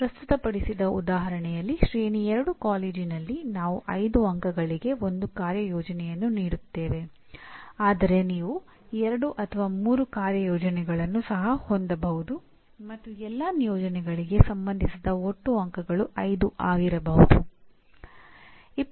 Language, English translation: Kannada, Let us say in the example presented here in a Tier 2 college, I give one assignment which is given as 5 marks but you can also have 2 or 3 assignments and the total marks associated with all the assignments could also be 5